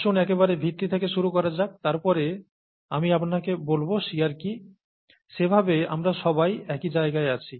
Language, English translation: Bengali, Let’s start from the very basis, and then I’ll tell you what shear is, that way we are all in the same plane